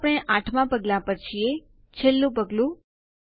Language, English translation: Gujarati, Now we are in Step 8 the final step